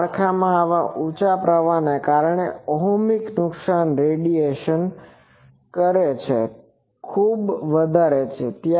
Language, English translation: Gujarati, In those structures, because of such high current that ohmic losses are much larger than the radiation resistant